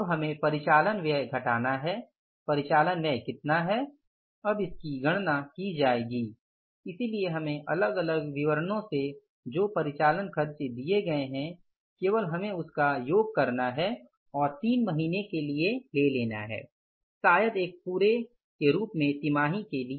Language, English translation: Hindi, So, we are given the operating expenses in the different statements only we have to sum it up and we have to take the total operating expenses for three months, maybe for the quarter as a whole